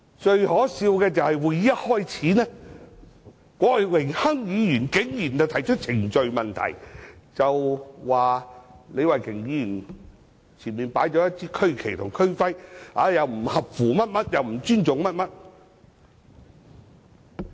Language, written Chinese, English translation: Cantonese, 最可笑的是，會議一開始，郭榮鏗議員竟然提出規程問題，指李慧琼議員前面擺放了一支區旗及區徽，不合乎某些規定，也是不尊重等。, The most ridiculous thing is at the beginning of this meeting Mr Dennis KWOK actually raised a point of order alleging that the regional flag and the regional emblem placed in front of Ms Starry LEE do not comply with certain specifications which is tantamount to disrespect